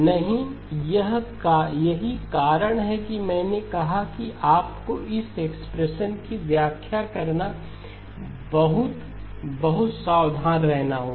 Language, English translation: Hindi, No, that is why I said you have to be very, very careful interpreting this expression okay